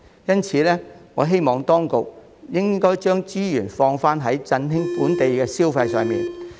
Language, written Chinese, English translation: Cantonese, 因此，我希望當局將資源主要投放在振興本地消費方面。, Therefore I hope that the resources will be mainly devoted to boosting local consumption